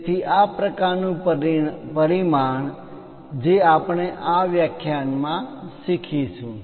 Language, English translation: Gujarati, So, this kind of dimensioning which we are going to learn it in this lecture